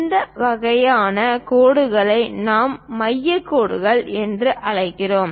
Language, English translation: Tamil, This kind of lines we call center lines